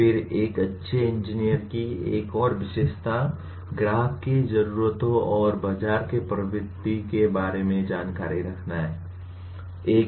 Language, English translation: Hindi, Then another characteristic of a good engineer, awareness of customer’s needs and market trends